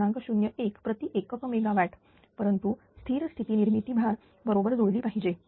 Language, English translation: Marathi, 01 per unit megawatt, but generation at the steady state that generation should match the load